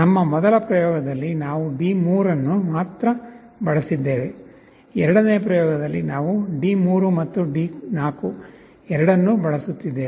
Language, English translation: Kannada, In our first experiment we shall be using only D3, in the second experiment we shall be using both D3 and D4